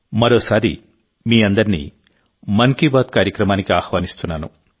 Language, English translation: Telugu, Once again a warm welcome to all of you in 'Mann Ki Baat'